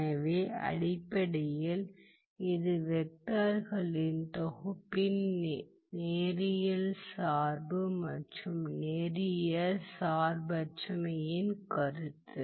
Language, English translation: Tamil, So, basically this is the concept of linear dependence and linear independence of a set of vectors